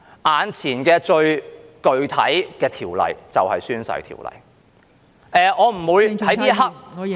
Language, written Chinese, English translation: Cantonese, 眼前最具體的條例就是《宣誓及聲明條例》。, The most specific ordinance that we can see now is the Oaths and Declarations Ordinance